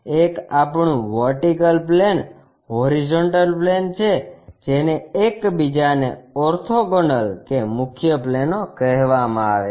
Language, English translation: Gujarati, One is our vertical plane, horizontal plane, these are called principle planes, orthogonal to each other